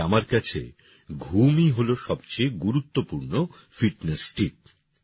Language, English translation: Bengali, For me sleep is the most important fitness tip